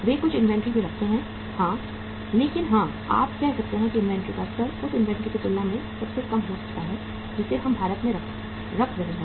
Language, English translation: Hindi, They also keep some inventory but yes you can say the level of inventory can be the lowest as compared to the inventory we are keeping in India